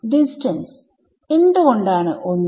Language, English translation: Malayalam, Distance why is it 1